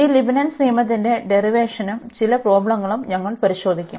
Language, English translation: Malayalam, And we will go through also the derivation of this Leibnitz rule and some worked problems